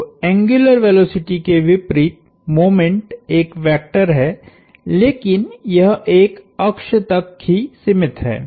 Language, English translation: Hindi, So, unlike angular velocity, moment is a vector, but it is constrained to an axis